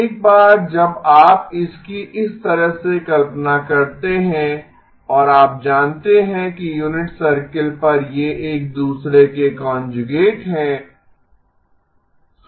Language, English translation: Hindi, Once you visualize it like that and you know that on the unit circle these are conjugates of each other